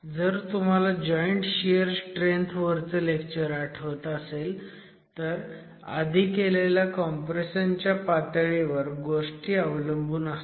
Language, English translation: Marathi, If you remember the lecture on joint shear strength, there is a sensitivity to the level of pre compression